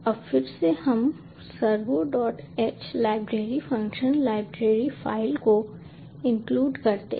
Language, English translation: Hindi, we include the servo dot h library function library file